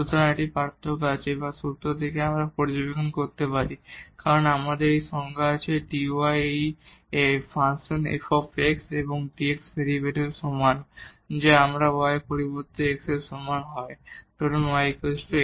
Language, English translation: Bengali, So, there is a difference or from the formula itself we can observe because we have this definition dy is equal to the derivative of this f prime x and dx and if we substitute for y is equal to x suppose y is equal to x